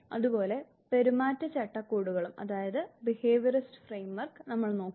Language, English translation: Malayalam, We would also look at the behaviorist framework